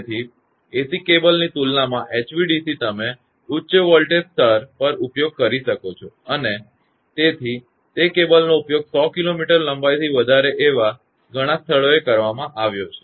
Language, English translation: Gujarati, So, compared to AC cable HVDC you can have use at high voltage level and then what you call; many places after 100 kilometre length; cable have been used